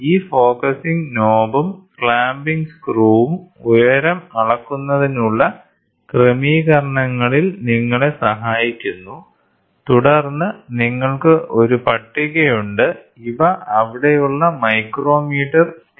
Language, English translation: Malayalam, So, this focusing knob and the clamping screw helps you to for height measurement adjustments and then you have a table, these are the micrometre scales which are there